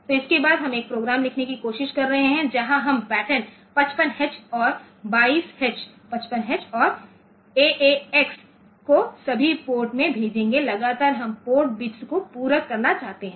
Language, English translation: Hindi, So, with this, we can we can try to write a program where we will sending the pattern say 5 5 x and 22H, 55H and AAX to all the ports continually that we want to complement the port bits